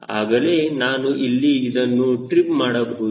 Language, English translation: Kannada, right, then only i can trim it here